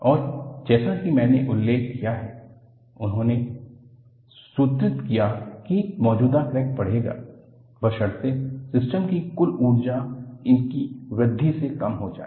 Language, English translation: Hindi, And, as I mentioned, he formulated that an existing crack will grow; provided, the total energy of the system is lowered by its growth